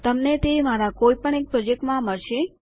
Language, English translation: Gujarati, Youll find it in one of my projects...